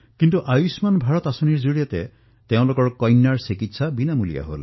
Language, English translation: Assamese, But due to the 'Ayushman Bharat' scheme now, their son received free treatment